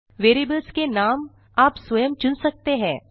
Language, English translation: Hindi, The variable names can be chosen by you